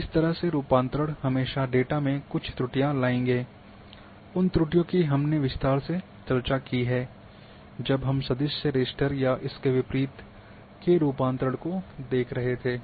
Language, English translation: Hindi, These conversions will always bring some errors in the data, those errors part while converting we have also discussed in detail when we were discussing these conversions of the vector to raster and vice versa